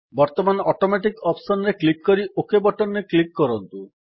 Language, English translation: Odia, Now click on the Automatic option and then click on the OK button